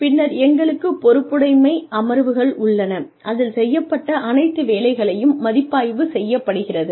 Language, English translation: Tamil, And then, we have the accountability sessions, in which a review is conducted of all the work, that had been done